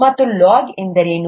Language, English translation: Kannada, And what is log